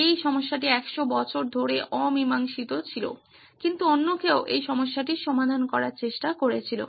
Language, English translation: Bengali, This problem was unsolved for 100 years but somebody else also tried to solve this problem